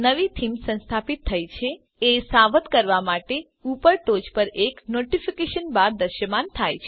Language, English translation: Gujarati, A Notification bar will appear at the top to alert you that a new theme is installed